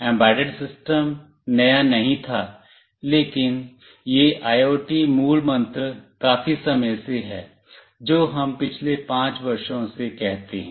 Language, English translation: Hindi, Embedded system was not new, but this buzzword IoT is there for quite some time let us say last 5 years